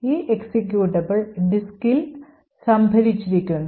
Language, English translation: Malayalam, So, this executable is stored in the disk